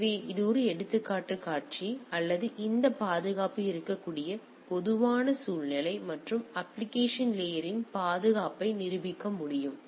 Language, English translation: Tamil, So, this is a example scenario or typical scenario where these security can be and the security of the of the application layer can be demonstrated